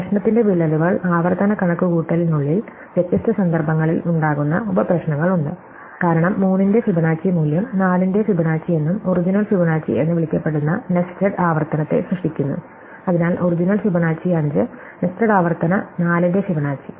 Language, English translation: Malayalam, So, the crux of the problem is that there are these sub problems which arise in different context within this recursive computation, for Fibonacci of 3 is generated both by the original call of Fibonacci of 4 and the nested recursive call of Fibonacci of 4, so the original called Fibonacci of 5 and the nested recursive called Fibonacci of 4